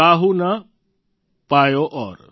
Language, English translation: Gujarati, Kaahu na payau aur"